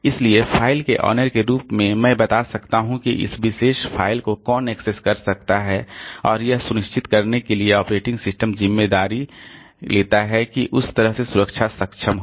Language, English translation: Hindi, So, as an owner of the file so I can tell who else can access this particular file and it is operating system's responsibility to ensure that protection is enabled that way